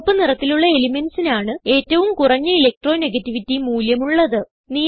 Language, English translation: Malayalam, Elements with red color have lowest Electronegativity values